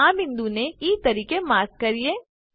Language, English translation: Gujarati, Lets mark this point as E